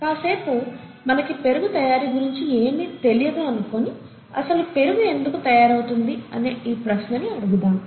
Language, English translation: Telugu, Let us assume for a while that we know nothing about curd formation and ask the question, why does curd form